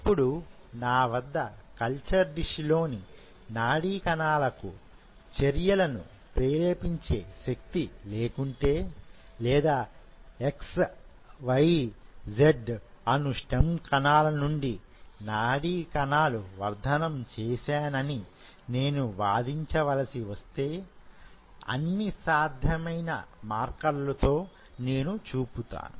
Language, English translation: Telugu, Now if I have neurons which does not fire action potential in the culture dish, or if I claim that you know from x y z stem cells I have derived neurons in the culture, with all possible immune markers I show it